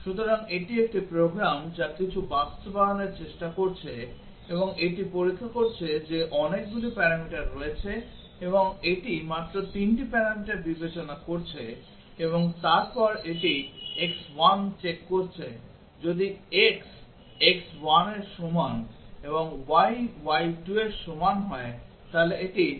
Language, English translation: Bengali, So, this is a program which is trying to implement something and it is checking there are many parameters and it is considering only 3 of the parameters and then it is checking x 1, if x = x1 and y = y 2 then it is f xyz